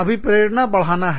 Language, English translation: Hindi, Increase the motivation